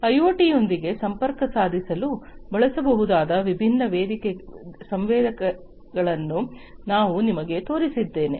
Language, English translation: Kannada, I have shown you different sensors that can that could be used for connecting with IoT